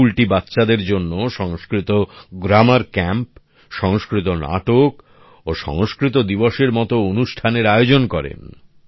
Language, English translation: Bengali, For children, these schools also organize programs like Sanskrit Grammar Camp, Sanskrit Plays and Sanskrit Day